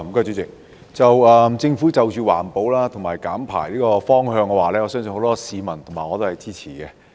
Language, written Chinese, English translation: Cantonese, 對於政府朝環保及減排的方向所推出的措施，很多市民和我均會支持。, The Governments introduction of environmental protection and emission reduction measures has the support of many Hong Kong people including me